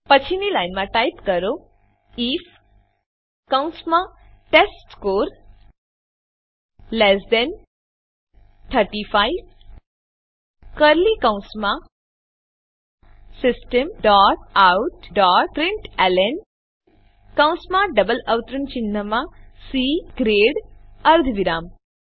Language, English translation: Gujarati, Next line type if within brackets testScore less than 35, within curly brackets System dot out dot println within brackets and double quotes C grade semicolon